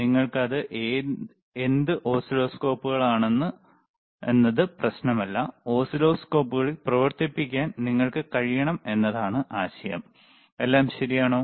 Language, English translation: Malayalam, aAnd it does not matter what oscilloscopes you have, the idea is you should be able to operate the oscilloscopes, all right